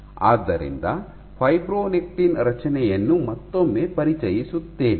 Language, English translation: Kannada, So, let me once again introduce the structure of fibronectin